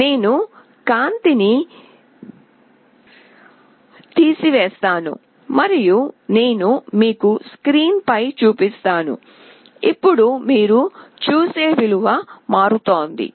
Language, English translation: Telugu, I will take away the light and I will show you the screen, where the value changes now you see